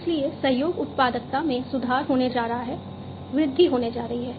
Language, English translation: Hindi, So, collaboration productivity is going to be improved, is going to be increased